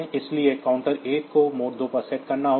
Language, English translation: Hindi, So, counter 1 has to be set to mode 2